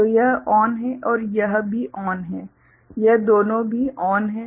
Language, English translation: Hindi, So, this is ON and this is also ON these two are also ON